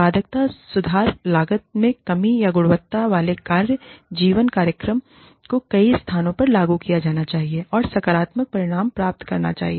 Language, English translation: Hindi, Productivity improvement, cost reduction, or quality work life program, should be implemented in many locations, and should achieve positive results